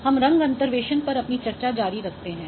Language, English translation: Hindi, So, we continue our discussion on color interpolation